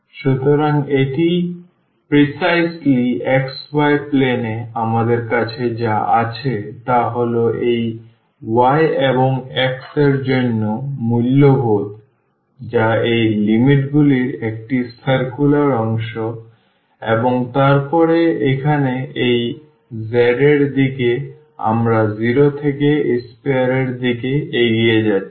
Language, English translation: Bengali, So, that is precisely in the xy plane what we have that is the values for this y and x that is a circle circular part of these limits and then here in the direction of this z we are moving from 0 to the sphere 0 to the sphere